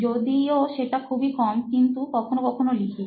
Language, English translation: Bengali, It is very less but yes, I do sometimes